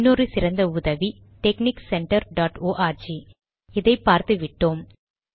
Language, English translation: Tamil, Another excellent source is texnic center dot org, which we have already seen